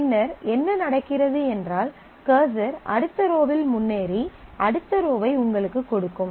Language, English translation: Tamil, So, what happens is the cursor will advance to the next row and get you the next row